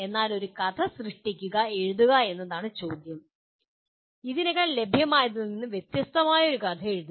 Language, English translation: Malayalam, But creating, writing a story the question is to write a story which should be different from what is already available